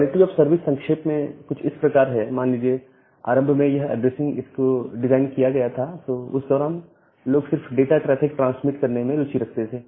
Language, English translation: Hindi, In brief quality of service is something like that, say initially when this IP addressing scheme was designed during that time people was only interested to transmit data traffic